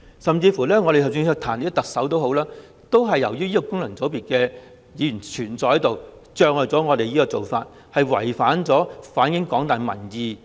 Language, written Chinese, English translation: Cantonese, 甚至當我們想彈劾特首，也由於功能界別的存在而阻礙了我們提出議案，令我們無法反映廣大民意。, Even when we wanted to impeach the Chief Executive we could not propose the motion owing to the presence of FCs thus we could not reflect the opinion of the general public